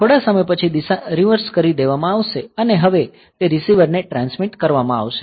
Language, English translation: Gujarati, After sometime the direction will be reversed and now it will be transmitter to receiver